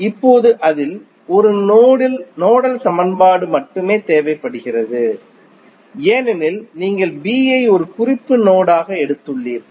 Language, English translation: Tamil, Now, out of that only one nodal equation is required because you have taken B as a reference node